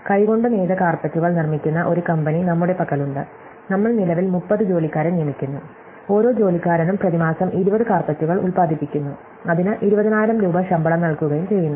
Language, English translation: Malayalam, So, we have a company which makes hand woven carpets and we currently employee 30 employees, each employee produces 20 carpets a month and his pay 20,000 rupees a salary